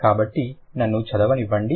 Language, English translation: Telugu, So, let me read it